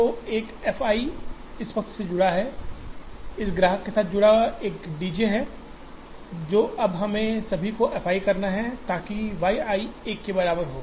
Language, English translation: Hindi, So, there is an f i associated with this side, there is a D j associated with this customer, now all that now we have to f i, so y i equal to 1